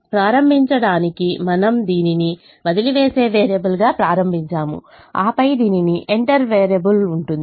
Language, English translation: Telugu, so to begin with we started with this as the living variable and then this has the entering variable